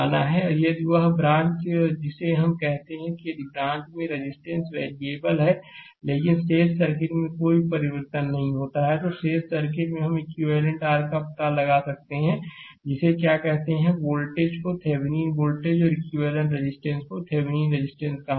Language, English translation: Hindi, And if that branch your what you call and if the branch resistance is variable say but rest of the circuit is unchanged, then the rest of the circuit we can find out to an equivalent your what you call voltage called Thevenin voltage and equivalent resistance called Thevenin resistance